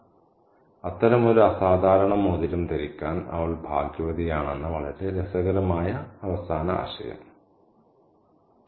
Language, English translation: Malayalam, Very interesting last idea that she was lucky to be wearing such an unusual ring